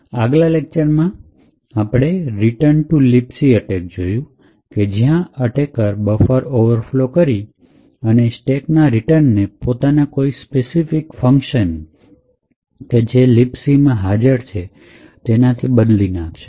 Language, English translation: Gujarati, In the earlier lecture we had looked at Return to Libc attack where the attacker overflows a buffer present in the stack and replaces the return address with one specific function in the Libc library